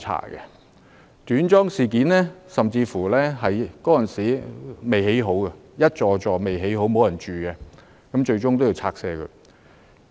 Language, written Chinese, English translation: Cantonese, 有關短樁事件，當時的房屋工程尚未完工，還沒有人入住，最終還是要拆卸。, That short - piling incident happened prior to resident occupation and the building works were still unfinished back then . Eventually the housing blocks had to be demolished